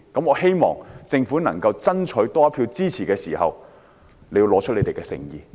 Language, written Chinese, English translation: Cantonese, 我希望政府在想多爭取一票支持時，能夠拿出誠意。, If the Government wants to get one more vote of support I hope that it can show its sincerity